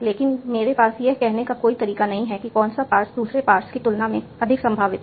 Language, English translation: Hindi, But I have no way of saying which pass is more probable than the other pass